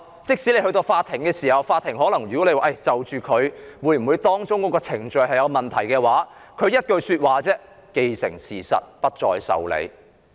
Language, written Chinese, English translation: Cantonese, 即使有人訴諸法庭，要求法庭裁定所涉程序有否任何問題，法官只會說道："現已既成事實，不會受理。, And after crossing the bridge Even if someone takes the matter to court and requests the Court to determine whether the process involved is problematic the judge will only say As everything has now become a reality the Court will dismiss your request